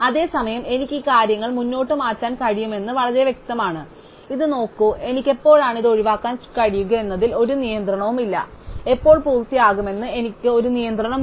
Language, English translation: Malayalam, It is, very clear that I can shift these things forward, look at this, there is no constraint on when I can skip to this, I only have a constraint on when thing should finish